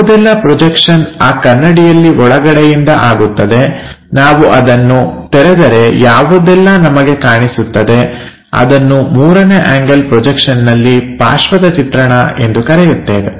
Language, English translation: Kannada, So, whatever the projection from internally on that mirror happens if I flip whatever it comes that we will call as the side view in third angle projection